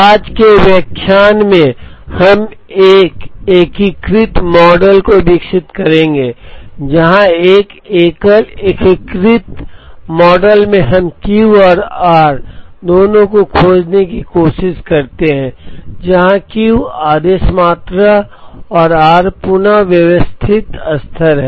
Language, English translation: Hindi, In today’s lecture, we will develop an integrated model where, in a single integrated model we try to find both Q and r where Q is the order quantity and r is the reorder level